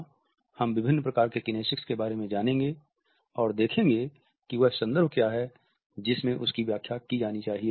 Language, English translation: Hindi, We would look at what are the different types of kinesics and what are the context in which their interpretation has to be done